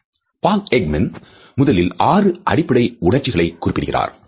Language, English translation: Tamil, Paul Ekman had initially referred to six basic emotions